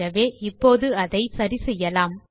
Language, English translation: Tamil, So, we will set it right now